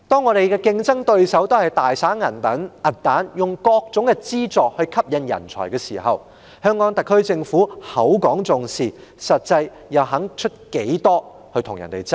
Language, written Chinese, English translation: Cantonese, 我們的競爭對手現時大灑銀彈，利用各種資助吸引人才，香港特區政府口講重視，實際上又願意付出多少與其他地區競爭？, Now our competitors are lavishing money using various kinds of financial assistance to attract talents . The Hong Kong SAR Government claims that it attaches similar importance . Yet how much is it actually willing to pay to compete with other regions?